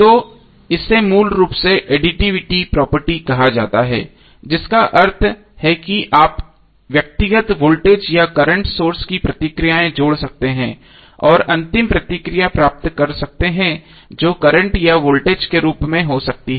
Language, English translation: Hindi, So this is basically called as a additivity property means you can add the responses of the individual voltage or current sources and get the final response that may be in the form of current or voltage